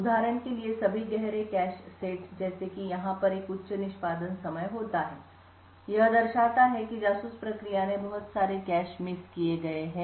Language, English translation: Hindi, For example all the darker cache sets like these over here have a higher execution time indicating that the spy process has incurred a lot of cache misses